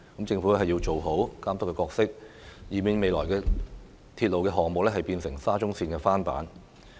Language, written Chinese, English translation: Cantonese, 政府要做好監督角色，以免未來的鐵路項目變成"沙中綫翻版"。, The Government should perform its monitoring role effectively to prevent these future railway projects from becoming duplicates of SCL